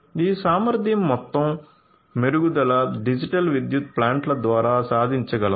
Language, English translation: Telugu, So, overall improvement in efficiency is what can be achieved through these digital power plants